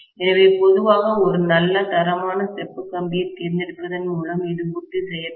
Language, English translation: Tamil, So, this will be ensured by choosing a good quality copper wire normally